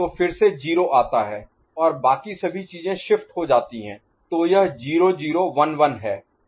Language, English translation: Hindi, So, again 0 comes and the rest of the things get shifted; so it is 0 0 1 1